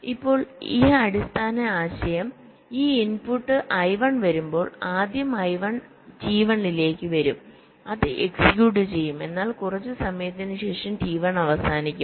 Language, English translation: Malayalam, now the basic idea is that when this input, i one, comes first, i one will be come into t one, it will get executed, but after sometime t only finished